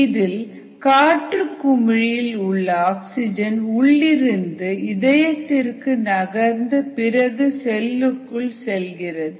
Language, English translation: Tamil, what happens is oxygen from inside the air bubble moves to the liquid and then moves to the cell